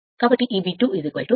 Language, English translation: Telugu, So, r a is 0